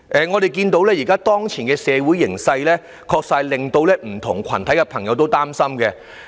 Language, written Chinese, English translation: Cantonese, 我們看到當前的社會形勢，確實令社會各界朋友都很擔心。, People from various social sectors are genuinely worried upon seeing the social conditions at present